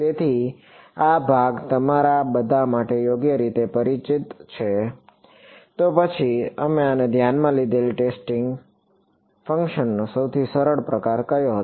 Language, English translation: Gujarati, So, this part is sort of familiar to all of you right; then, what was the simplest kind of testing function that we considered